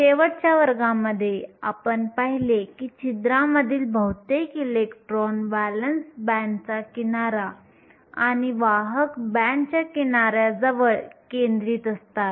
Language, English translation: Marathi, Last class, we saw that most of the electrons in holes are concentrated near the valence band edges and the conduction band edge